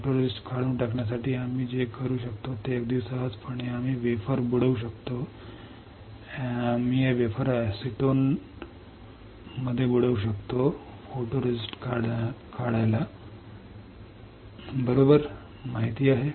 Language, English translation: Marathi, For removing photoresist very easy what we can do we can dip the wafer, we can dip this wafer into acetone photoresist removal you know it right